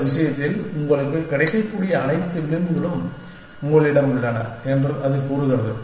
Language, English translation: Tamil, It says that, you have all the edges that are available to you in this thing